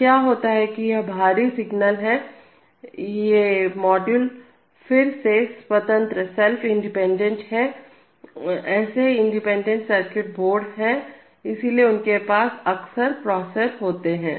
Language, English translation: Hindi, So what happens is that these external signals are, these modules are again self independent, there are such independent circuit boards, so they often have processors on them